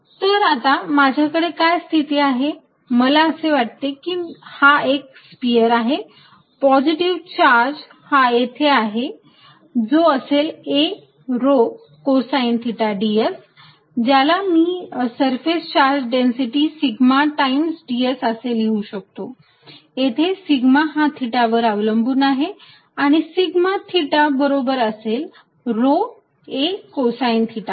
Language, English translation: Marathi, So, what I have the situation now if I think of this as single sphere, I have positive charge here which is rho a cosine of theta d s which I can write as a surface charge density sigma times d s, where sigma depends on theta and sigma theta is equal to some rho a cosine of theta